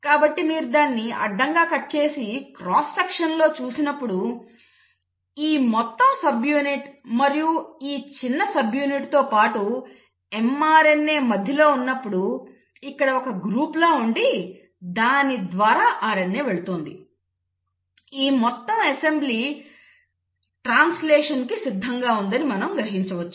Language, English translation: Telugu, So when you cut it across and see a cross section, when this entire large subunit and the small subunit along with mRNA in between; so there is a groove here in, through which the RNA is passing through, you, the whole assembly is ready for translation